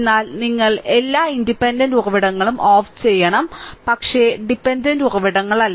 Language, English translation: Malayalam, But you have to turn off all independent sources, but not the dependent sources right